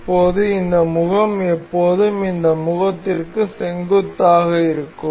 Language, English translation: Tamil, So, now, this this face is always perpendicular to this face